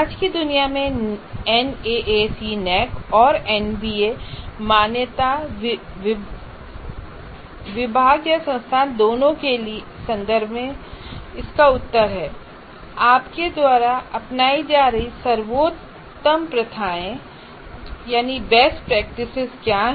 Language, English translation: Hindi, And actually if you follow this, in today's world, both in terms of NAAC and NBA accreditation, one of the things that the department or the institute has to follow is to answer the question, what are the best practices you are having